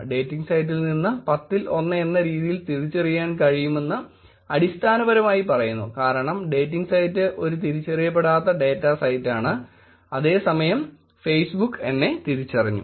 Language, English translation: Malayalam, Which basically says that 1 on 10 from the dating site can be identified, because the dating site is an un indentified data set, whereas Facebook is my identified